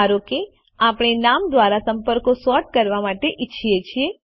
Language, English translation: Gujarati, Lets suppose we want to sort contacts by name